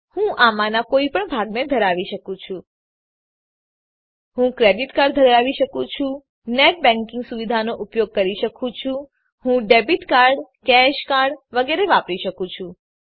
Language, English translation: Gujarati, I can have any of this parts , I can have a credit card, i can use the net banking facilities, I can use debit card ,cash card and so on